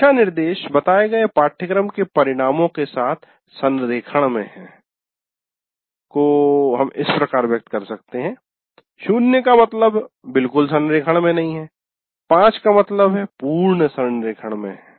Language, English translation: Hindi, So the classroom instruction is in alignment with the stated course outcomes, not alignment at all, zero, complete alignment is five